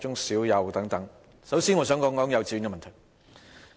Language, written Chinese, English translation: Cantonese, 首先，我想談及幼稚園的問題。, First I would like to talk about the problem concerning kindergartens